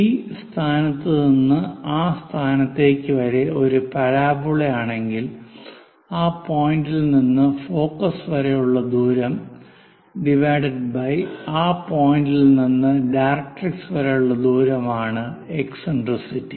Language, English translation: Malayalam, If it is a parabola from this point to that point distance of that point from there to focus by distance from directrix for that point